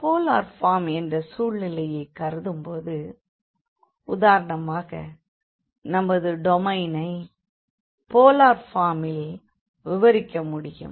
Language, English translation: Tamil, So, the situations we will be considering for the polar form when we have for example the domain which can be described in polar form